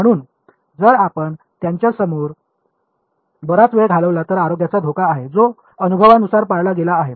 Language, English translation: Marathi, So, if you spend too much time in front of them there is a health risk which empirically has been observed